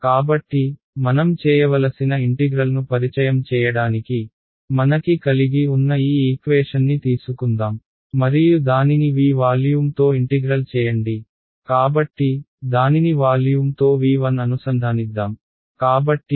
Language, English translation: Telugu, So, to introduce that integral what we need to do is, let us take this equation that I have and let us integrate it over volume V let us, so, let us integrate it over volume V 1 ok